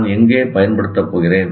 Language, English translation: Tamil, Say, where am I going to use it